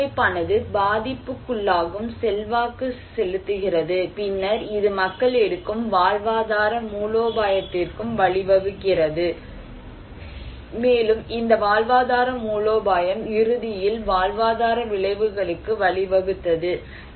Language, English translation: Tamil, And this framework also influencing the vulnerability and also then it leads to the livelihood strategy people take, and this livelihood strategy ultimately went to livelihood outcomes